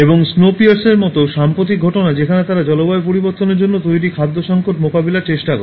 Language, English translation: Bengali, And a recent one like, Snowpiercer where they try to deal with the food crisis which are brought actually by climate change